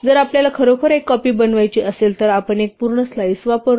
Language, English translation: Marathi, If we really want to make a copy, we use a full slice